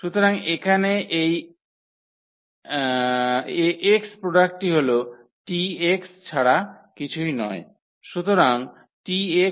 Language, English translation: Bengali, So, this product here Ax will be exactly this one which is nothing but the T x